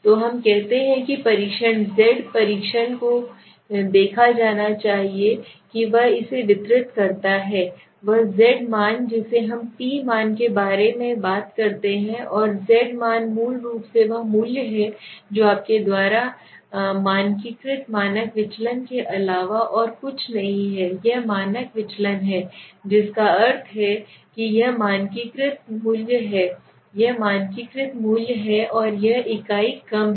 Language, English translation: Hindi, So we say should have seen the test z test distributing it he z value we talk about the t value and the z value is basically that value which is nothing but the standardized standard deviation you can understand it is the standard deviation from the mean that means it is the standardized value right it is the standardized value and it is the unit less